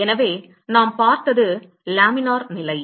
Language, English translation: Tamil, So what we looked at is laminar condition